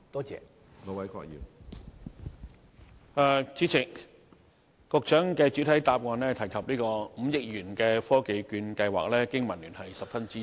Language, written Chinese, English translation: Cantonese, 主席，局長在主體答覆提到5億元的"科技券計劃"，香港經濟民生聯盟十分支持。, President the Business and Professionals Alliance for Hong Kong strongly supports the 500 million TVP mentioned by the Secretary in his main reply